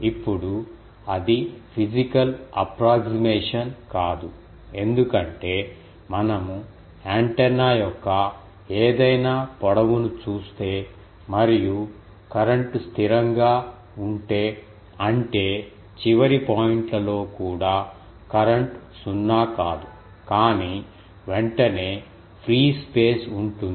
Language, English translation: Telugu, Now, that is not a physical approximation because, if we look at any length of an antenna and if throughout the current is constant; that means, at the end points also, the current is ah nonzero, but immediately after that there is free space